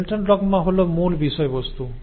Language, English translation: Bengali, So, Central dogma is the main thematic